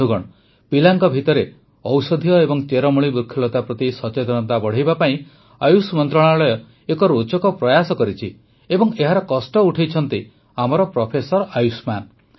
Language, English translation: Odia, the Ministry of Ayush has taken an interesting initiative to increase awareness about Medicinal and Herbal Plants among children and Professor Ayushman ji has taken the lead